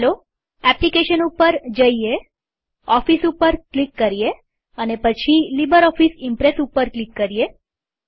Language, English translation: Gujarati, Let us Go to Applications,click on Office,then click on LibreOffice Impress